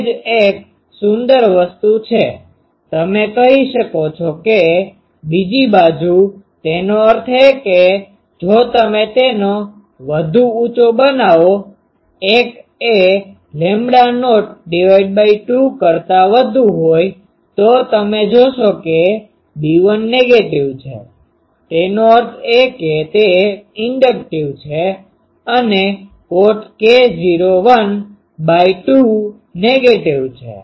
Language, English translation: Gujarati, That is a beautiful thing similarly, you can say that on the other side; that means, if you make it higher than the so, l is greater than lambda not by 2, then you will see that B 1 is negative; that means, it is inductive and cot k not l by 2 is negative